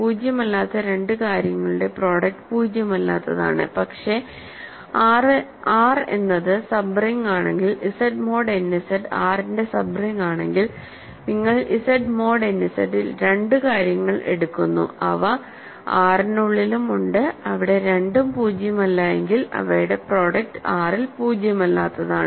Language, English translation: Malayalam, Product of two non zero things is non zero, but if R is the sub ring if Z mod n Z is the sub ring of R you take two things in Z mod n Z, they are also inside R and there if there both non zero their product is non zero in R